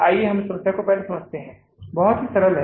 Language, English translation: Hindi, Let's understand this problem first